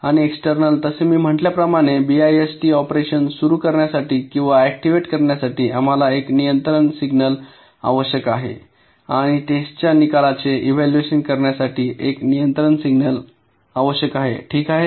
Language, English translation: Marathi, and externally, as i said, we need one control signal to start or activate the bist operation and we need one control signal to evaluate the result of the test